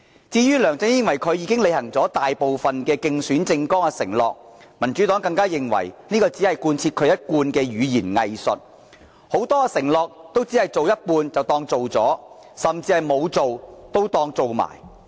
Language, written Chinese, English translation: Cantonese, 至於梁振英以為自己已履行大部分競選政綱的承諾，民主黨也認為這只是一貫的語言"偽術"，他的很多承諾都只是做一半便當作完成了，甚至沒有做的也當作做了。, As regards LEUNG Chun - yings self - perception that he has honoured most of his election pledges the Democratic Party considers this as another example of his hypocritical rhetoric . He regards that he has fulfilled many pledges despite having merely finished them in part or not even having started working on the tasks at all